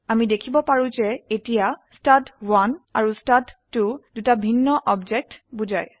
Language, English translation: Assamese, We can see that here stud1 and stud2 refers to two different objects